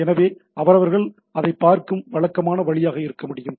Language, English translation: Tamil, So, that they can be the typical way of looking at it